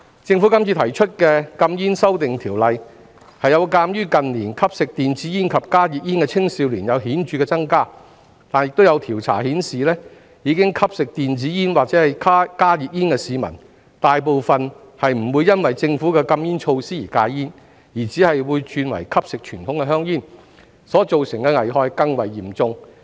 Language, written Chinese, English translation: Cantonese, 政府今次提出的禁煙修訂，是鑒於近年吸食電子煙及加熱煙的青少年顯著增加，但亦有調查顯示，已吸食電子煙或加熱煙的市民，大部分不會因為政府的禁煙措施而戒煙，只是會轉為吸食傳統香煙，所造成的危害會更為嚴重。, This time the Government has proposed legislative amendments on the smoking ban in view of the significant increase in the number of young people consuming e - cigarettes and HTPs in recent years . However according to a survey most users of e - cigarettes or HTPs will not quit smoking because of the Governments anti - smoking measures . They will only switch to smoking conventional cigarettes which will cause more serious harm